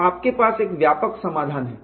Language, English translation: Hindi, So, you have a generic solution